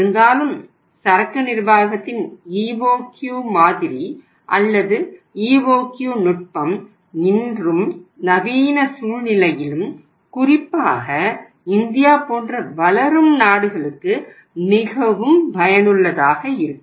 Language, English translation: Tamil, Despite that EOQ model or EOQ technique of inventory management is very very useful even today or in the modern scenario especially in the countries like India or the developing countries